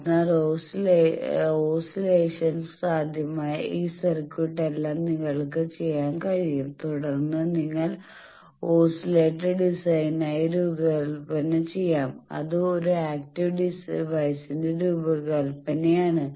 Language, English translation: Malayalam, So, all this circuitry where there were oscillations possible you can do that then you can design for oscillator design also which is the design of an active device